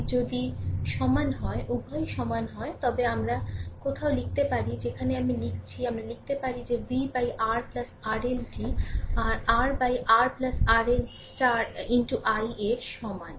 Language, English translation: Bengali, If both are equal, if both are equal, then we can write somewhere I am writing we can write that v upon R plus R L is equal to your R upon R plus R L into i right